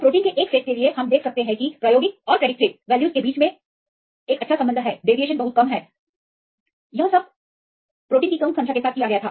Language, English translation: Hindi, For a set of proteins, we can see it is a good correlation between the experimental and predicted values; the deviation is a very less; this was done with less number of proteins